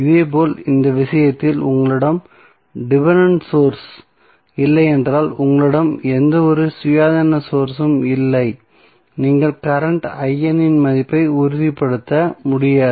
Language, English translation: Tamil, So, similarly in this case also if you do not have dependent source, you do not have any independent source in the circuit you cannot stabilized the value of current I N